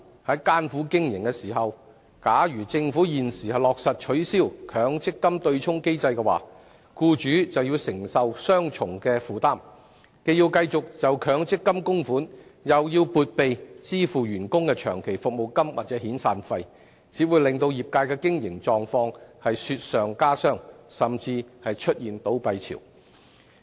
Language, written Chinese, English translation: Cantonese, 在艱苦經營之際，如政府現時落實取消強積金對沖機制，僱主便要承受雙重負擔，既要繼續向強積金供款，又要撥備支付員工的長期服務金或遣散費，只會令業界雪上加霜，甚至出現倒閉潮。, While employers are struggling hard in their business operation if the Government now implements the abolition of the MPF offsetting mechanism they will have to bear the dual burden of continuing to make MPF contributions and making provisions for employees long service or severance payments . It will only add to the miseries of the industry and even give rise to a spate of business closures